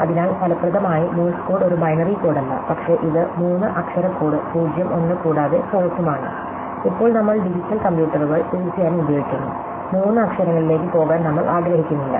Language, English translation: Malayalam, So, therefore, effectively Morse code is not a binary code, but it is a three letter code 0 1 and pause, now we are using of course, digital computers, we do not want to go to three letters